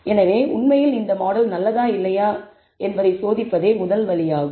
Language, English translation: Tamil, So, this is the first step that you will actually test whether the model is good or not